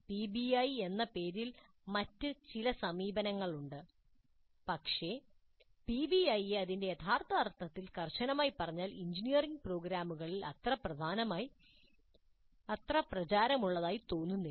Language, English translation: Malayalam, There are certain other approaches which go by the name of PBI but strictly speaking PBI in its true sense does not seem to have become that popular in engineering programs